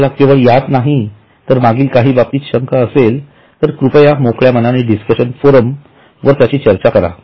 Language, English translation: Marathi, If you have a doubt in anything, not only here but even of the earlier items, please feel free to discuss it on discussion forums